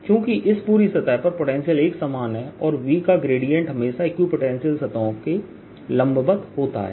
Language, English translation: Hindi, the potential is the same on this entire surface and gradient is always gradient of b is perpendicular to equipotential surfaces